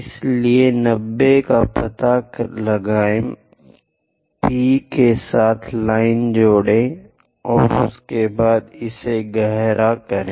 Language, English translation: Hindi, So, locate 90 degrees, join P with line and after that darken it